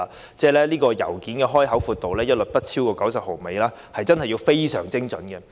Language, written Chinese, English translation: Cantonese, 現在要求所有信件的開口闊度一律不得超過90毫米，要非常精準。, At present Hongkong Post precisely requires all openings of letters not to be smaller than 90 mm